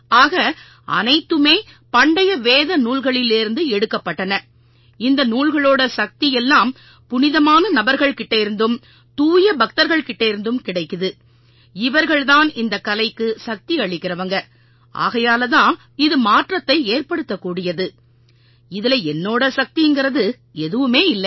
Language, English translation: Tamil, So everything is from ancient Vedic scriptures and the power of these scriptures which are coming from transcendental personalities and the pure devotees who are bringing it the art has their power and that's why its transformational, it is not my power at all